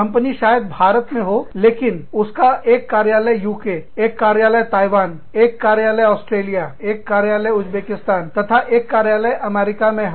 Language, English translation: Hindi, But, one office in UK, one office in Taiwan, one office in Australia, one office in Uzbekistan, and one office in the United States